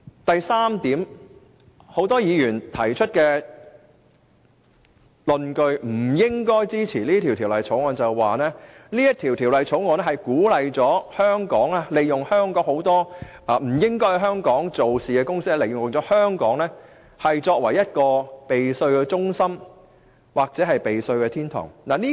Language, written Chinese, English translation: Cantonese, 第三點，多位議員提出不應支持《條例草案》的論據，是有關政政會鼓勵很多不應在香港經營的公司，利用香港避稅或逃稅。, Third a number of Members argue that the Bill should not be supported because the policy will encourage companies which do not operate in Hong Kong to use Hong Kong as a safe haven for tax avoidance and tax evasion